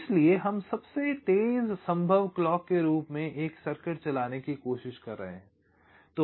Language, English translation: Hindi, so we are trying to run a circuit as the fastest possible clock